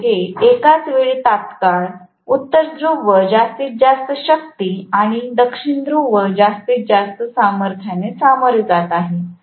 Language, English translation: Marathi, Both of them are going to face the maximum strength of North Pole and maximum strength of South Pole at the same instant